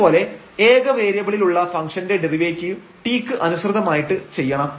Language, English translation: Malayalam, And for function of 1 variable we can get the derivative here with respect to t